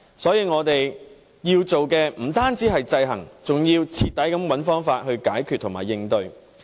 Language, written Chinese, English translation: Cantonese, 所以，我們要做的不單是制衡，而是須徹底地找方法解決和應對。, For this reason what we have to do is not just to impose checks and balances rather it is necessary to identify an ultimate solution and countermeasure to this